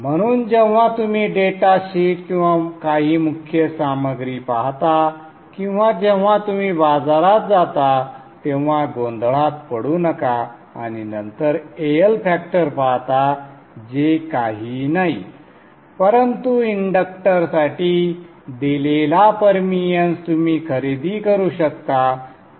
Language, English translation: Marathi, When you look at the data sheets of some of the core materials or when you go to the market and then see AL factor, that is but the permians you can purchase a given permions for the inductor